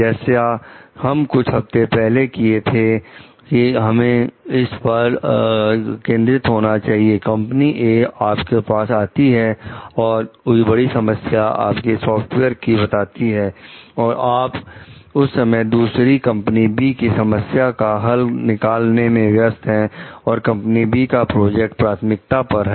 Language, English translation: Hindi, So, from here we need to concentrate about it like few weeks ago, company A came to you about a major difficulty with your software, you were busy resolving another issue with company B at the time and company B project was priority